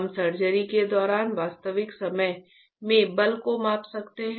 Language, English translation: Hindi, We can measure the force in real time during the surgery